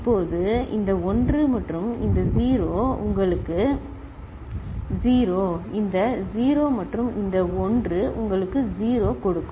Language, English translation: Tamil, Now this1 and this 0 will give you 0, this 0 and this 1 it will give you 0